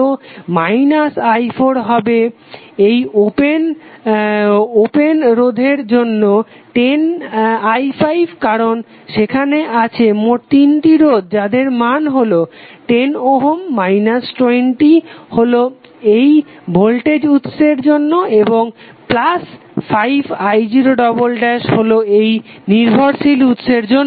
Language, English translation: Bengali, So minus i4 would because of this one open resistance 10i5 because there are 3 resistance of total value of 10 Ohm minus 20 for this voltage source and plus 5 i0 double dash for this dependent voltage source